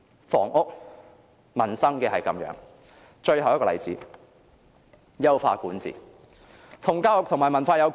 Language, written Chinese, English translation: Cantonese, 房屋、民生如是，而最後一個例子就是優化管治，而這與教育和文化亦有關。, This is the situation of our housing and peoples livelihood . My final example is about the effort to enhance governance which is related to education and culture